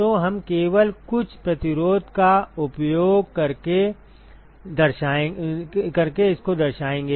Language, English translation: Hindi, So, we will simply represent that using some resistance